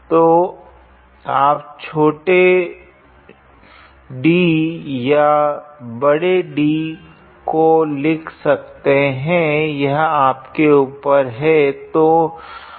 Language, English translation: Hindi, So, you can write small d or capital D; it is up to you